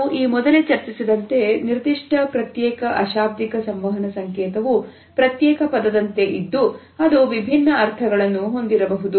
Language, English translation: Kannada, As we have discussed earlier a particular isolated nonverbal signal is like an isolated word which may have different meanings